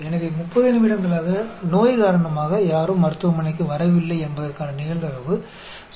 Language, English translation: Tamil, So, the probability for 30 minutes nobody came to the clinic because of the illness is 0